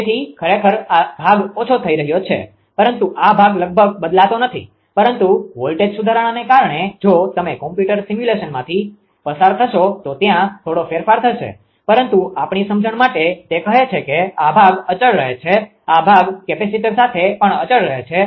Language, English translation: Gujarati, So, in the actually this part is getting decreased but this part almost not change but because of the voltage improvement there will be if you go through computer simulation you will find there will be slight change but for the our understanding say this part remain constant; this part also remain constant with capacitor also